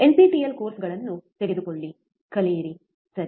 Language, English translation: Kannada, Take the nptelNPTEL courses, learn, right